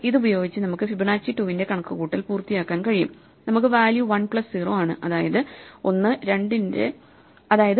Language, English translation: Malayalam, So, with this, we can complete the computation of Fibonacci 2, we get value is 1 plus 0 in other words 1